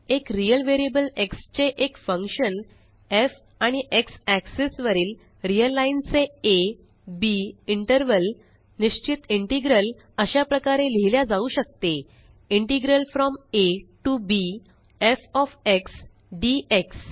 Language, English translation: Marathi, So, given a function f of a real variable x and an interval a, b of the real line on the x axis, the definite integral is written as Integral from a to b f of x dx